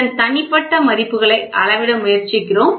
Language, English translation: Tamil, So, we are trying to measure the individual values of this, ok